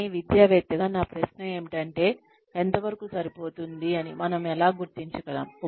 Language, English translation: Telugu, But, my question as an academician is, how do we figure out, what is enough